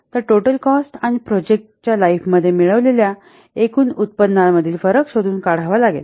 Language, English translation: Marathi, So, we have to find out the difference between the total cost spent and the total income obtained over the life of the project